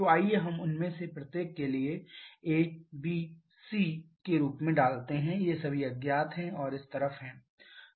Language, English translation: Hindi, So, let us put as a, b and c for each of them these are all unknown and on this side we again have 3